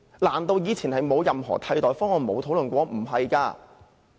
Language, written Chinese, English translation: Cantonese, 難道以前不曾討論任何替代方案？, Didnt we put forward any other alternative proposals?